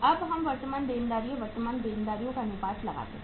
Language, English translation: Hindi, Now let us estimate the current liabilities, current liabilities